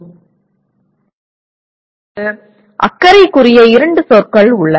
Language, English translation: Tamil, Now there are two other words that are of concern